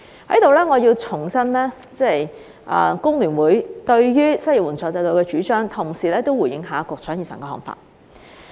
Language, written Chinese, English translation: Cantonese, 我在此要重申工聯會對於失業援助制度的主張，同時也回應局長以上看法。, Here I would like to reiterate the proposals of HKFTU on the unemployment assistance system and respond to the aforesaid viewpoints of the Secretary